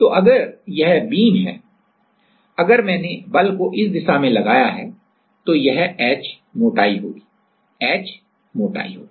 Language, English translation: Hindi, So, if this is if this is a beam if I considered then if this is the force applying then h will be this thickness h will be this thickness right